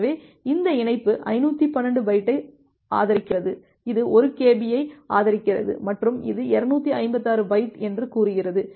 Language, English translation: Tamil, So, this link support 512 byte this supports 1KB, this supports 1KB and this supports say 256 byte